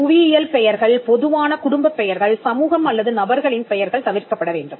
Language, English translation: Tamil, Geographical names, common surnames, names of community or persons should be avoided